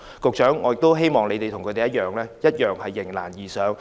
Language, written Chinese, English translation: Cantonese, 局長，我希望官員與他們一樣迎難而上。, Secretary I hope that government officials will join hands with these tenants to rise to the challenge